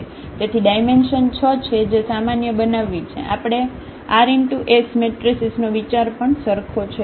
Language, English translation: Gujarati, So, the dimension is 6 which we can generalize for r by s matrices also the idea is same